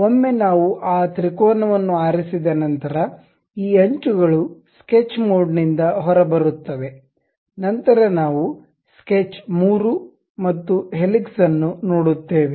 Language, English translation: Kannada, Once we have that triangle pick this edges come out of the sketch mode, then we will see sketch 3 and also helix